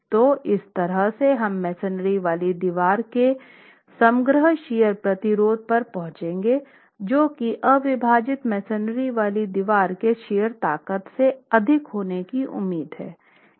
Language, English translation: Hindi, So, together we will arrive at the overall shear resistance of the confined masonry wall which is expected to be higher than the unreinforced masonry wall shear strength itself